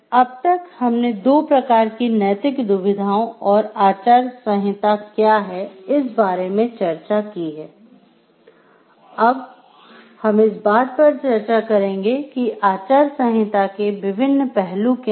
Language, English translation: Hindi, Now, when we have discussed about the two types of ethical dilemmas and, what the code of ethics is then and, now we will proceed to discussion of like the what are the different aspects of a code of ethics